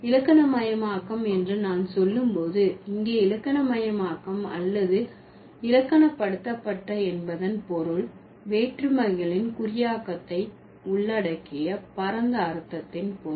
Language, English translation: Tamil, And when I say grammaticalized, here grammaticalized is or grammaticalize means in a broader sense that covers the encoding of meaning distinctions